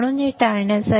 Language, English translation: Marathi, So, to avoid this